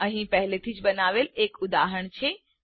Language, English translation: Gujarati, Here is an example that I have already created